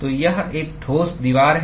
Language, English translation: Hindi, So, it is a solid wall